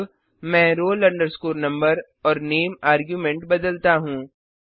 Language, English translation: Hindi, Now, let me change the arguments to roll number and name itself